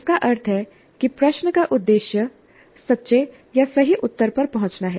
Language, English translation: Hindi, That means the objective of the question is to arrive at the true or correct answer